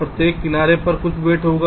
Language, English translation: Hindi, ok, each edge will be having some weight